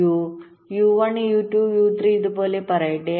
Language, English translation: Malayalam, let say u, u one, u two, u, three, like this